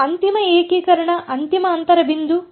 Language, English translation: Kannada, And final integration final inter point is